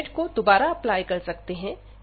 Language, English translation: Hindi, And now we can put that limit back